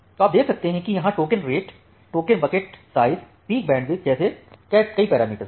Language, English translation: Hindi, So, you can see that it contains multiple parameters like this token rate, token bucket size, the peak bandwidth, latency